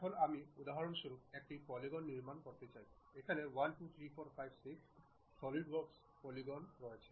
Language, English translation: Bengali, Now, if I would like to construct a polygon for example, here polygon having 1 2 3 4 5 6 sides are there